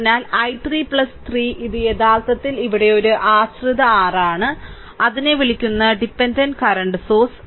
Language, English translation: Malayalam, So, i 3 plus 3 I is equal to this I actually here it is a dependent your what you call dependent current source right